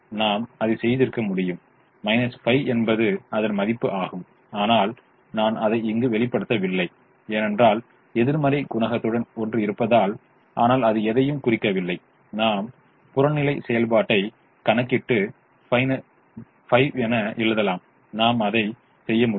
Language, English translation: Tamil, minus five is the value, but i have i have not shown it because i have one with the negative coefficient, but that doesn't mean anything we can calculate the objective function and write it as minus five